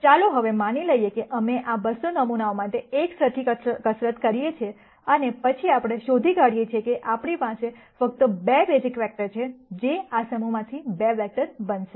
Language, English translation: Gujarati, Now, let us assume we do the same exercise for these 200 samples and then we nd that, we have only 2 basis vectors, which are going to be 2 vectors out of this set